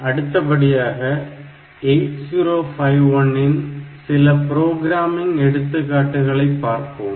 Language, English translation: Tamil, So, next we will look into a few programming examples for this 8051 system